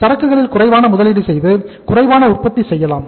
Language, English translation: Tamil, Make lesser investment in the inventory and produce less